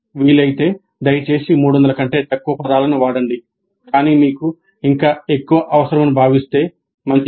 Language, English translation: Telugu, If possible please use less than 300 words but if you really feel that you need more, fine